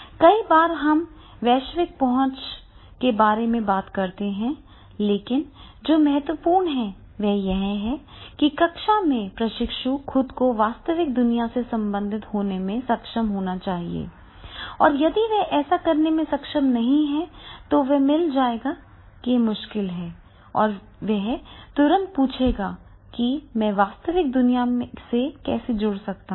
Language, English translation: Hindi, Many times then actually we talk about it is a global access is there but the what is important is that is the when it is in the classroom, in the classroom the trainee, he is able to relate it to with his real world and if you find the difficulty a problem he immediately ask that is how I can get connected with this real world problem